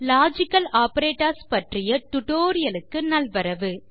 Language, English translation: Tamil, Hello and welcome to a tutorial on Logical Operators